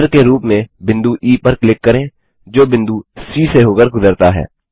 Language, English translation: Hindi, Click on point E as centre and which passes through C